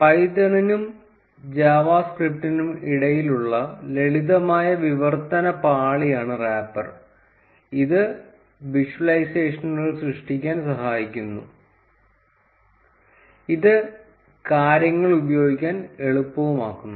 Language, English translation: Malayalam, The wrapper is a simple translation layer between python and java script, which helps in creating visualizations, it really makes things easy to use